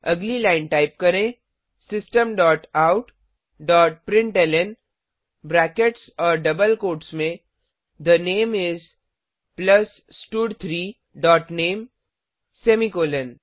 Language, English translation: Hindi, next line type System dot out dot println within brackets and double quotes The name is, plus stud3 dot name semicolon